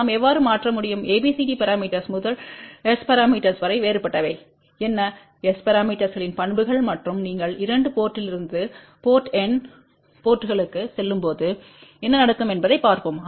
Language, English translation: Tamil, And in the next lecture we will see that how ABCD parameters are related with S parameters, how we can convert from ABCD parameters to S parameters and also we will look at what are the different properties of S parameters, and what happens when you go from 2 port to n ports